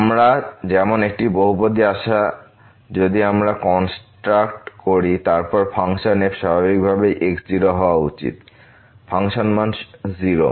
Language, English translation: Bengali, We expect such a polynomial if we construct then there should be close to the function naturally at function value is 0